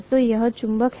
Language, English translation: Hindi, So this is the magnet